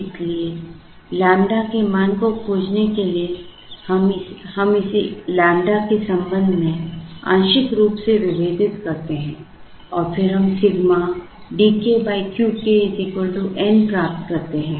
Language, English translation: Hindi, So, in order to find the value of lambda we partially differentiate this with respect to lambda and then we will get sigma D k by Q k is equal to N